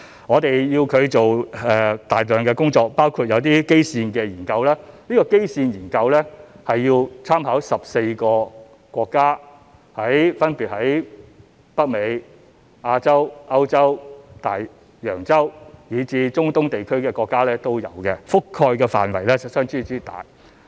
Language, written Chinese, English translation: Cantonese, 我們要求他們做大量工作，包括一些基線研究，而這些基線研究需參考14個分別位於北美、亞洲、歐洲、大洋洲，以至中東地區的國家也有，所覆蓋的範圍相當廣泛。, We required them to do a lot of work including some baseline researches which were required to make references to 14 countries in North America Asia Europe Oceania and the Middle East covering a wide area